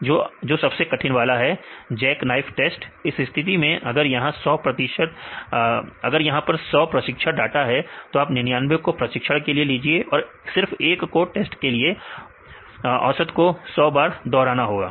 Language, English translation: Hindi, The more rigorous one this a jack knife test in this case if it is a 100 training data take 99 to train and 1 to test I repeat 100 times